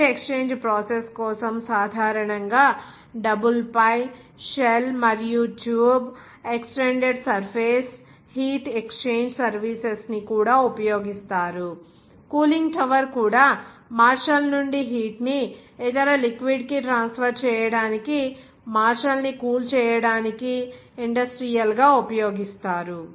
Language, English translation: Telugu, For the heat exchange process generally double pi, shell and tube, even extended surface, heat exchange serving used, even cooling tower also industrial used for cooling the martial to transfer heat from martial to the other liquid